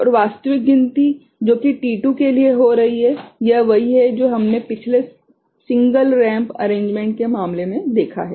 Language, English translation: Hindi, And actual counting which is happening for t2 right so, this is the one, similar to what we have had seen in case of previous single ramp arrangement ok